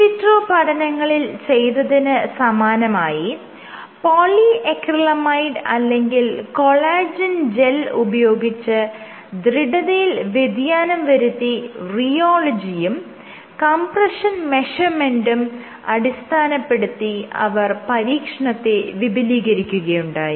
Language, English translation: Malayalam, So, just like in vitro they used polyacrylamide gels or collagen gels to vary the stiffness, they used rheology and compression measurements